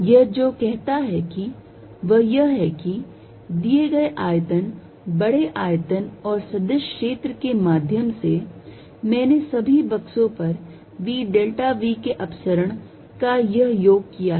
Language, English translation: Hindi, What it says, is that given a volume large volume and vector field through this I did this summation divergence of v delta v over all boxes